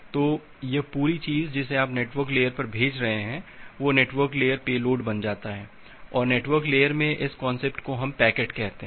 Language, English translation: Hindi, So, this entire thing that you are passing to the network layer, that becomes the network layer payload and in the network layer that concept we call it as a packet